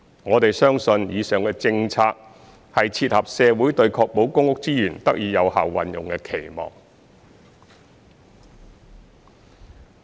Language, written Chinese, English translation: Cantonese, 我們相信以上的政策，是切合社會對確保公屋資源得以有效運用的期望。, We believe that the aforesaid policy can meet the expectation in society on ensuring effective utilization of PRH resources